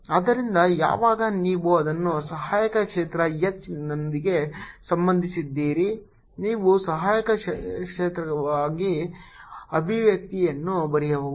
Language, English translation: Kannada, so when you relate it with the auxiliary field h, you can write down the expression for the auxiliary field